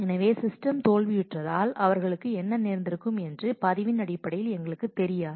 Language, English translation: Tamil, So, we do not know in terms of the log what would have happened to them because the system had failed